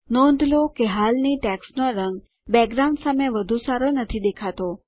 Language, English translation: Gujarati, Notice that the existing text color doesnt show up very well against the background